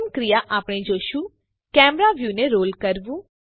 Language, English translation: Gujarati, The first action we shall see is to roll the camera view